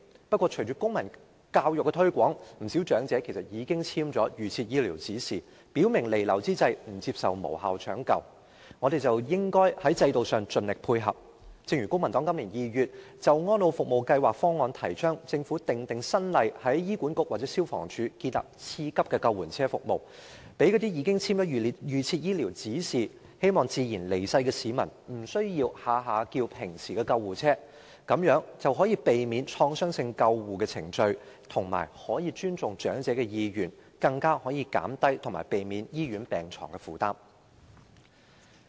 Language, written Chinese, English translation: Cantonese, 不過，隨着公民教育的推廣，不少長者其實已簽署預設醫療指示，表明彌留之際不接受無效搶救，我們應在制度上盡力配合，例如公民黨在今年2月就安老服務計劃方案提倡政府訂定新例，在醫管局或消防處建立次級的救援車服務，讓那些已簽署預設醫療指示，希望自然離世的市民，不需要動輒召喚一般救護車，這樣便可以避免創傷性救護程序，亦可以尊重長者意願，更可以減低醫院病床的負擔。, However following the promotion of civic education many elderly people have actually signed an advance directive in relation to medical treatment stating their refusal to futile life - sustaining treatment when death is imminent . We should comply with their wishes by all means in the system . For example in February this year the Civic Party advocated that the Government should formulate new legislation on setting up a secondary ambulance service in HA or the Fire Services Department so that members of the public who have signed an advance directive and wish for a natural death need not call for the usual ambulance service at every turn thereby avoiding invasive rescue procedures